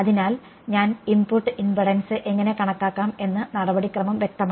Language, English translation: Malayalam, So, the procedure is clear how do I calculate the input impedance ok